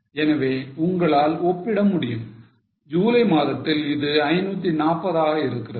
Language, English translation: Tamil, So, you can compare in the month of July it was 540